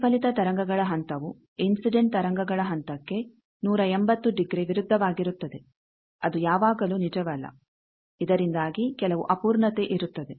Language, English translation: Kannada, Also the reflected waves phase is 180 degree opposite to the incident waves phase that is not always true, so that are some imperfection